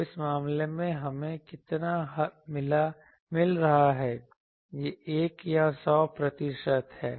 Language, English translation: Hindi, So, how much we are getting in this case, this is 1 or 100 percent